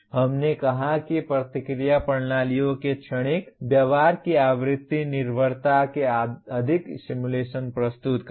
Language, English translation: Hindi, We said present more simulations of frequency dependence of transient behavior of feedback systems